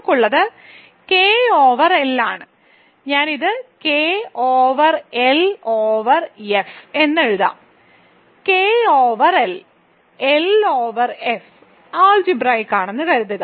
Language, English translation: Malayalam, So, what we have is that K over L, so I will write it here K over L over F, suppose that K over L and L over F are algebraic show that K over F is algebraic, ok